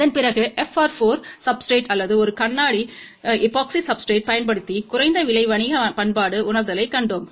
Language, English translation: Tamil, After that we saw a low cost realization using FR4 substrate or a glass epoxy substrate for commercial application